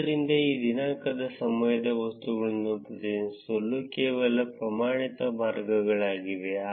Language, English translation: Kannada, So, there are some standard ways to represent these date time objects